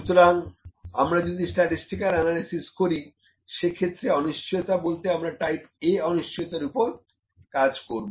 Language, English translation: Bengali, So, if the any statistical analysis has to be applied, the uncertainty has to be type A uncertainty